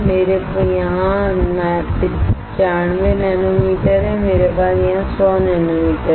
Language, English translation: Hindi, I have here 95 nanometer I have here 100 nanometer